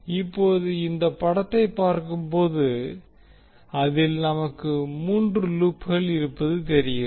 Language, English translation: Tamil, So now if you see this figure in this figure, we see there are 3 loops